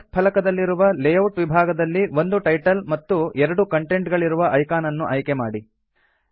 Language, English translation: Kannada, From the Layout section on the Tasks pane, select Title and 2 Content icon